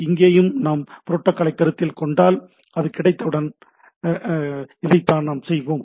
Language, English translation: Tamil, Like here also we if we consider protocol so, this is it is a what we did once this is there